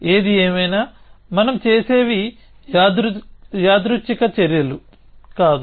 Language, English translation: Telugu, Whatever, we do these are not random actions that we do